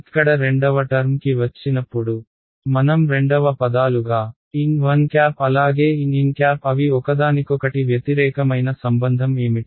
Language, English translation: Telugu, Coming to the second term over here, what I will write it as second terms survive as is ok, n 1 and n what is the relation they just opposites of each other